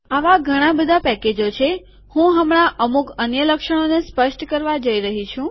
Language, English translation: Gujarati, There are lots of these packages, I am going to illustrate some of the other features now